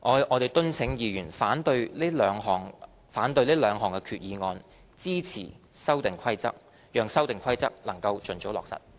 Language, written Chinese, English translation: Cantonese, 我們敦請議員反對這兩項決議案，支持《修訂規則》，讓《修訂規則》能盡早落實。, I implore Members to oppose the two resolutions and support the Amendment Rules to enable its expeditious implementation